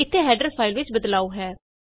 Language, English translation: Punjabi, Theres a change in the header file